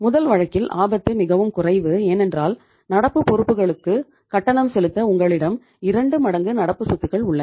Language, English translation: Tamil, In this case, the risk is very very low because you have double of your current assets to pay the current liabilities